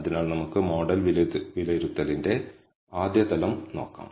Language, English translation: Malayalam, So, let us look at the first level of model assessment